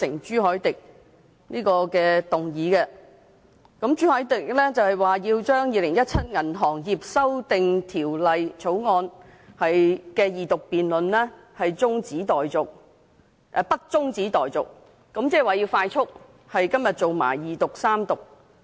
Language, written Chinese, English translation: Cantonese, 朱凱廸議員提出《2017年銀行業條例草案》的二讀辯論不中止待續，即是要《條例草案》迅速地在今天進行二讀和三讀。, Mr CHU Hok - dick proposed that the Second Reading debate on the Banking Amendment Bill 2017 the Bill be not adjourned which means that the Bill should expeditiously proceed to the Second and Third Readings today